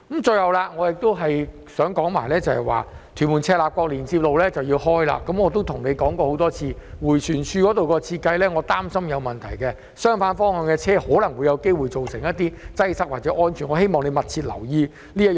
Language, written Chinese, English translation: Cantonese, 最後，我亦想說，屯門至赤鱲角連接路即將通車，我亦曾多次向局長表示，我擔心迴旋處的設計有問題，相反方向的車輛可能會造成擠塞或構成安全問題，我希望他會密切留意此事。, One last point I would like to make is that while TM - CLKL will soon be commissioned I have expressed to the Secretary repeatedly my worries about the problems with the design of the roundabout there . Vehicles in the opposite direction may cause congestion or pose safety problems